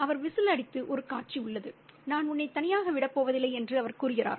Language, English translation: Tamil, He whizzles and there's one scene where he says, I'm not going to leave you alone